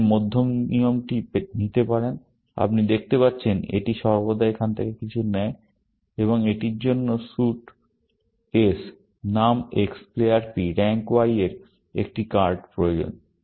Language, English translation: Bengali, You can take the middle rule, as you can see, it always takes something from here, and it needs a card of suit S name X player P rank Y